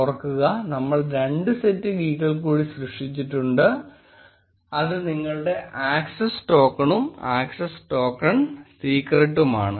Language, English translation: Malayalam, Now remember we had created two more set of keys, which is your access token, and access token secret